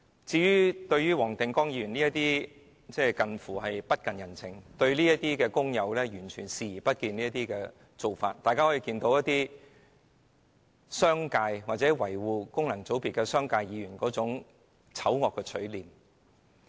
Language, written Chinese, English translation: Cantonese, 至於黃定光議員近乎不近人情、完全漠視工友的做法，反映商界及維護功能界別的議員的醜惡嘴臉。, Mr WONG Ting - kwongs cruel and inconsiderate practice that completely ignores the workers well reflects the ugly faces of the business community and Members defending the functional constituencies